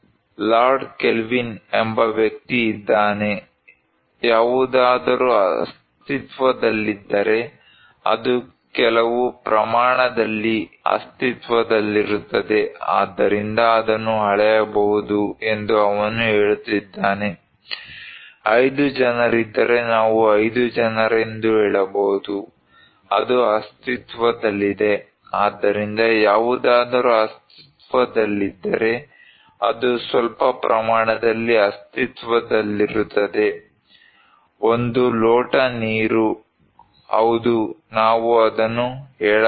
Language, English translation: Kannada, There is a person Lord Kelvin, he is saying that anything that exists; exists in some quantity and can, therefore, be measured, if there are 5 people, we can say 5 people so, it exists so, anything that exists, that exists in some quantity, a glass of water; yes we can tell it